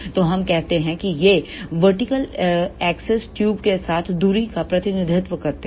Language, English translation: Hindi, So, let us say this vertical axis represent the distance along the tube